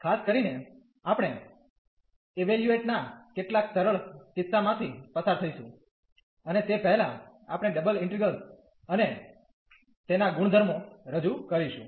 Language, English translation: Gujarati, In particular, we will go through some simple cases of evaluation and before that we will introduce the double integrals and their its properties